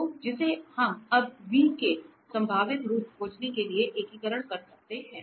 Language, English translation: Hindi, So, which we can integrate now to find v a possible form of v